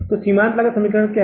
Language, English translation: Hindi, So, what is this marginal costing equation